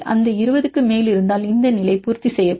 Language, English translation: Tamil, More than 20, if it is more than 20 then they then this will satisfy the condition